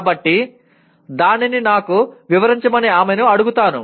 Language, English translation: Telugu, So I will ask her to explain it to me